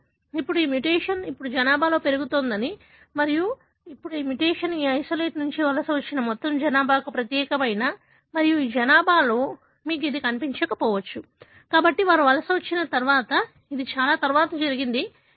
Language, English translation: Telugu, Now, what you will find that this mutation now increase in the population and now, this mutation is unique to all the population that migrated from this isolate and you may not find this in this population, so because it happened much later after they migrated from the main land